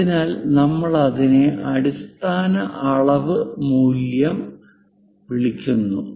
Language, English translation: Malayalam, So, we call that as basic dimension value